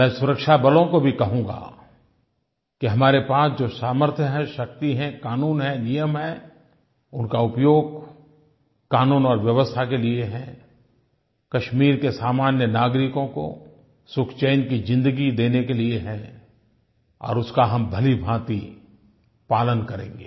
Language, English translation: Hindi, I shall also tell the security forces that all our capabilities, power, laws, rules and regulations are basically meant to maintain law and order in order to provide a life of peace and happiness for the common people of Kashmir